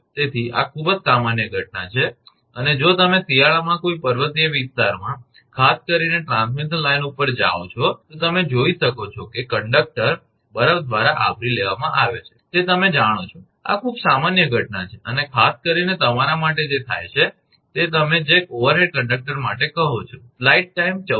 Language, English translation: Gujarati, So, this is very common phenomenon and if you go to any hill area particularly an over a transmission line in winter, you can see that conductor is covered is you know by snow, this is very common phenomena and particularly this happens for your what you call for overhead conductor